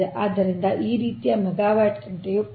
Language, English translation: Kannada, this much of megawatt hour